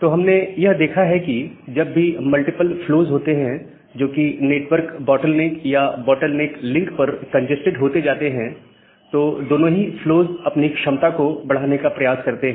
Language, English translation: Hindi, So, what we have looked into that whenever there are multiple flows, which are getting congested at the network bottleneck or that the bottleneck link, both the flows are trying to maximize their capacity